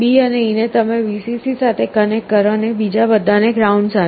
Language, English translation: Gujarati, So, B and E you connect to Vcc, and all others to ground